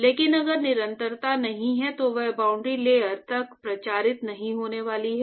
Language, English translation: Hindi, But if there is no continuity then that is not going to propagate up to the boundary layer